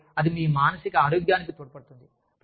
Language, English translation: Telugu, And, that adds to your emotional health